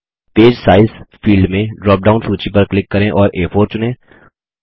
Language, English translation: Hindi, In the Paper Size field, click on the drop down list and select A4